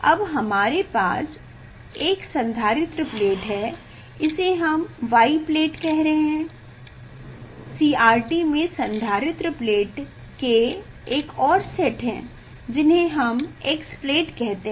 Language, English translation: Hindi, Now, we have a capacitor plate, this we are telling y plate; there are another sets of capacitor plate in CRT